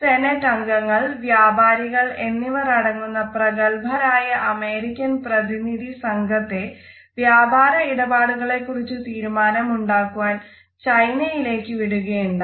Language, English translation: Malayalam, It so, happened that a high powered American delegation which consisted of their senators and business leaders was sent to China to finalize certain business deals